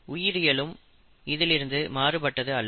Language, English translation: Tamil, Biology is no different